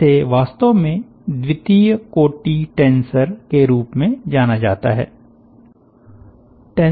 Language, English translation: Hindi, this actually is called, as a second order, tensor